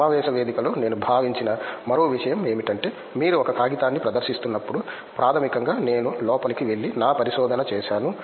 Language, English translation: Telugu, Another thing that I felt in conference was like when you are presenting a paper basically I went in and I made my research